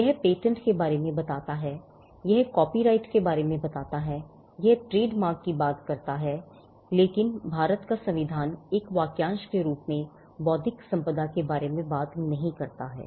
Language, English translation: Hindi, It talks about patents; it talks about copyright; it talks about trademarks, but the Constitution of India does not talk about intellectual property as a phrase itself